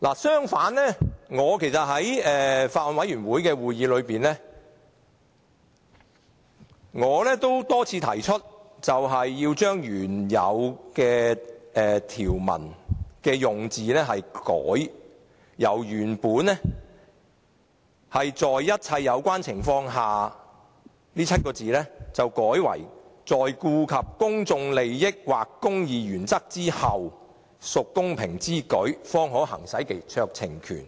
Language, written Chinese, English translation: Cantonese, 相反，在法案委員會的會議上，我多次提出修訂原條文的用字，由原本"在顧及一切有關情況下"改為"在顧及公眾利益或公義原則之後"，屬公平之舉，方可行使該酌情權。, Unlike their argument I repeatedly suggested in meetings of the Bills Committee that the wording of the clause should be amended replacing having regard to all the relevant circumstances with having regard to the public interest or the interests of the administration of justice so that a decision maker may exercise discretion only if he is satisfied that it is just and equitable to do so